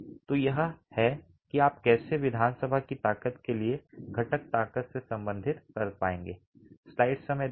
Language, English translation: Hindi, So this is how you would be able to relate the constituent strength to the strength of the assembly itself